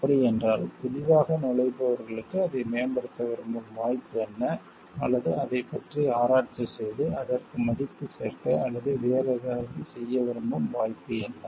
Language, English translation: Tamil, Then what is the opportunity present for the new entrants, who want to improve on that or who want to research on that, and add value to it or do something different